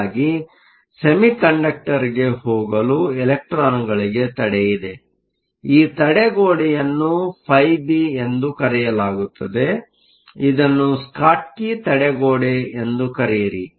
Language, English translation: Kannada, There is also a barrier for the electrons to go from the metal to the semiconductor; this barrier is called phi b, just call the Schottky barrier